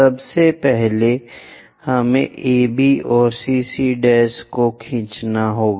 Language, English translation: Hindi, First, we have to draw AB and CC prime also we have to draw